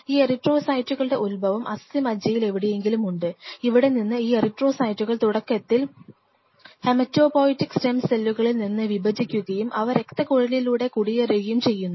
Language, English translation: Malayalam, These erythrocytes have their origin in the bone marrow somewhere out here, from here these erythrocytes initially they divide from hematopoietic stem cells and they migrate and they migrate through the blood vessels and they have a limited life is span afterward it gets destroyed